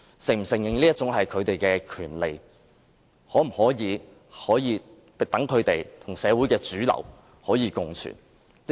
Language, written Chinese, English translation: Cantonese, 政府是否承認這是他們的權利，讓他們與社會的主流可以共存？, Whether the Government recognizes it is their right so that they can co - exist with the mainstream society?